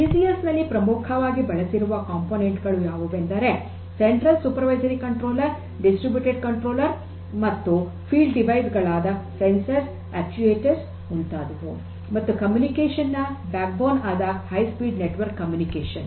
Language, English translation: Kannada, The main major components in use in DCS are the central supervisory controller, distributed controller, field devices such as the sensors, actuators and so on and this communication backbone, the high speed network communication network and it it has to be high speed